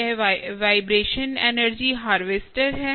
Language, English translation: Hindi, this is the vibration energy harvester